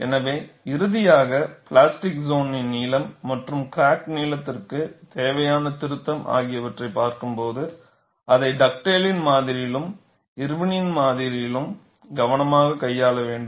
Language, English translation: Tamil, So, finally, when we look at the plastic zone length and there correction necessary for crack length, we have to handle it carefully in Dugdale’s model as well as Irwin’s model, there is a subtle difference between the two